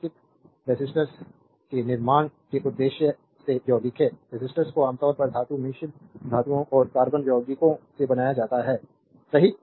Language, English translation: Hindi, For the purpose of constructing circuit resistors are compound; resistors are usually made from metallic alloys and the carbon compounds, right